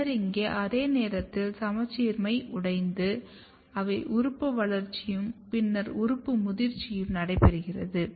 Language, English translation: Tamil, Then at the same time here there is a symmetry broken you have organ growth and then maturation of the organ